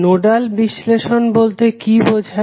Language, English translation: Bengali, What do you mean by nodal analysis